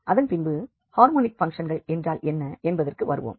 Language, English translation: Tamil, Coming back to these harmonic functions, what are the harmonic functions